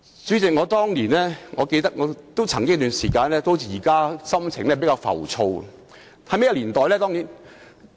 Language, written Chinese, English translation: Cantonese, 主席，我記得當年有一段時間的心情也像現時般浮躁。, President I remember that there was a period in the past when I also felt impetuous as I am now